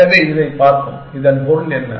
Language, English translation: Tamil, So, let us this see, what this means